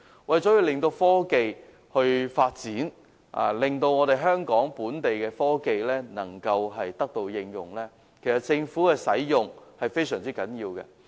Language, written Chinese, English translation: Cantonese, 為促進科技發展，令香港本地的科技能夠得到應用，政府使用這些科技是非常重要的。, To promote technological development and facilitate the application of locally - developed technologies it is most important that these technologies are used by the Government